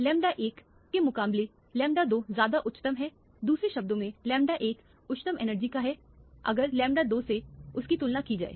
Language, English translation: Hindi, The lambda 2 is much higher than the lambda 1, in other words the lambda 1 is the higher energy compared to the lambda 2